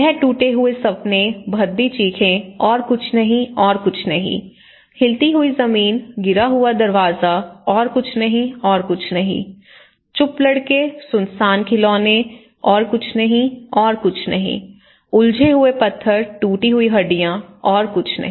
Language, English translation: Hindi, He talks shattered dreams, woeful screams, nothing more, nothing more, shaken floor, fallen door, nothing more, nothing more, silent boys, deserted toys, nothing more, nothing more, tumbled stones, broken bones, nothing more, nothing more